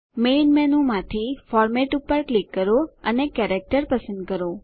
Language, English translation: Gujarati, From the Main menu, click Format and select Character